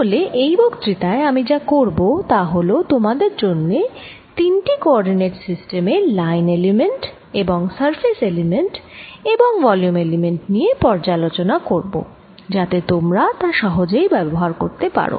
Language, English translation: Bengali, so what i'll do in this lecture is just review three coordinate systems for you and their line and surface elements and volume elements, so that you can use them easily